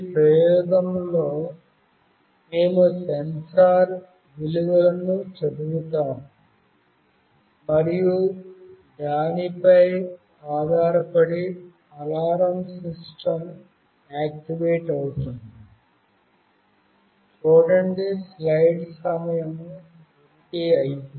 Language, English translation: Telugu, In this experiment, we will read the sensor values and depending on that an alarm system will be activated